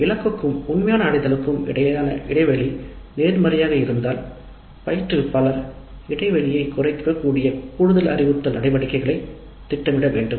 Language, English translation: Tamil, If the gap between the target and actual attainment is positive then the instructor must plan for additional instructive activities that can reduce the gap